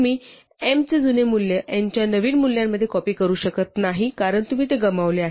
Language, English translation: Marathi, So, you cannot copy the old value of m into the new value of n because you have lost it